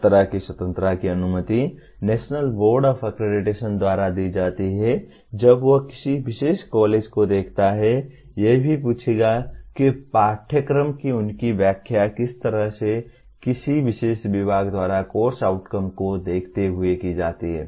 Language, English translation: Hindi, That kind of freedom is permitted by National Board Of Accreditation when it looks at a particular college will also ask what kind of their interpretation of the curriculum is performed by the a particular department vis à vis the course outcomes